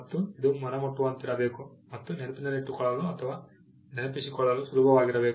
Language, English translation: Kannada, And it should be appealing and easy to remember or recollect